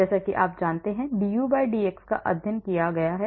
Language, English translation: Hindi, as you know you must have studied du/dx